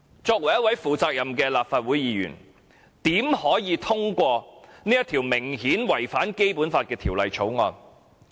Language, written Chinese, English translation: Cantonese, 作為一位負責任的立法會議員，我們怎可以通過這項顯然違反《基本法》的《條例草案》？, As responsible Members of the Legislative Council how can we pass the Bill which has blatantly contravened the Basic Law?